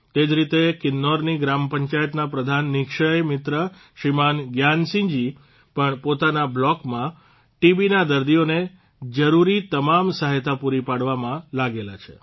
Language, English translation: Gujarati, Similarly, Shriman Gyan Singh, head of a village panchayat of Kinnaur and a Nikshay Mitra also is engaged in providing every necessary help to TB patients in his block